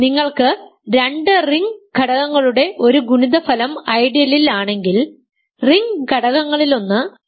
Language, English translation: Malayalam, I am asking for if you have a product of two ring elements is in the ideal, then one of the ring elements is in the ideal